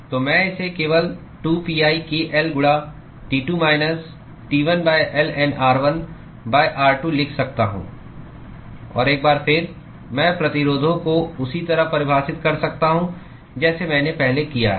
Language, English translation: Hindi, So, I can simply write it as 2pi k L into T2 minus T1 divided by ln r1 by r2 and once again, I could define the resistances the way I have done before